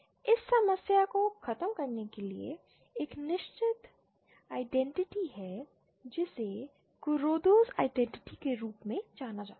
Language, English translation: Hindi, To get over this problem there is a certain identity known as KurodaÕs identity